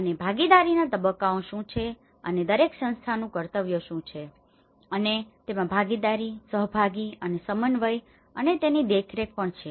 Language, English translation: Gujarati, And what are the stages of the participation and what are the roles of each organizations and there is a participation, partnership and also the coordination and the supervision of it